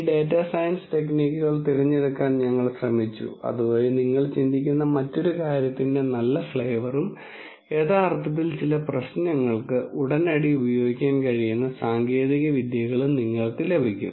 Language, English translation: Malayalam, We tried to pick these data science techniques so that you get a good flavour of another things that you think about and also actually techniques that you can use for some problems right away